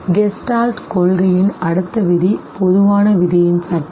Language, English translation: Tamil, The next law of Gestalt principle is the law of common fate